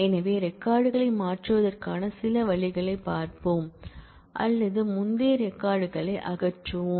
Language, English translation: Tamil, So, we will look into some of the ways of changing the records or removing records from that earlier